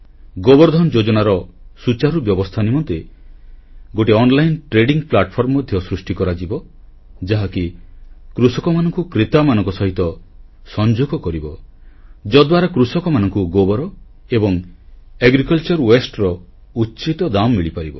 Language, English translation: Odia, An online trading platform will be created for better implementation of 'Gobar Dhan Yojana', it will connect farmers to buyers so that farmers can get the right price for dung and agricultural waste